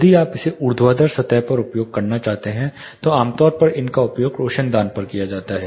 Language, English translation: Hindi, If you are wanting to use it on vertical surfaces they may cause glare